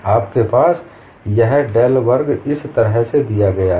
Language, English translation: Hindi, Also you have this del square, is given in this fashion